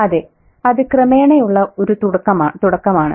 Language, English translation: Malayalam, So there is a, it's a gradual beginning